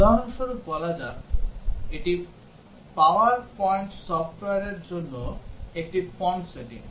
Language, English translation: Bengali, For example, let us say this is a font setting for the power point software